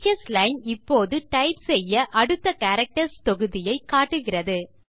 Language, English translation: Tamil, Notice, that the Teachers Line now displays the next set of characters to type